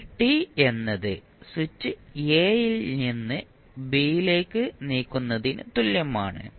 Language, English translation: Malayalam, Now, at t is equal to switch is moved from a to b